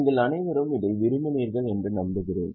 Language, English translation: Tamil, I hope you all liked it and you are excited about it